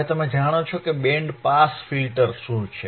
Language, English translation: Gujarati, Now you know, what areare band pass filters